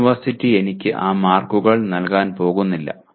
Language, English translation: Malayalam, The university is not going to give me those marks